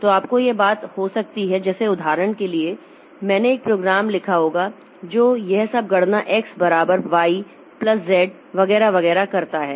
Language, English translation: Hindi, So, you may like to have this thing like for example I might have written a program that does all this computation x equal to y plus z etc